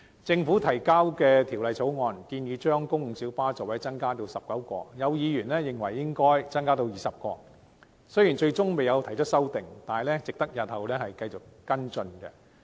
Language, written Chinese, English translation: Cantonese, 政府提交的《條例草案》建議把公共小巴座位增至19個，有議員認為應增至20個，雖然最終並未提出修正案，但這提議值得繼續跟進。, The Bill introduced by the Government proposes to increase the seating capacity of PLBs to 19 despite the fact that some Members consider that the seating capacity should be increased to 20 . Though no amendment is proposed at the end this idea is worth pursuing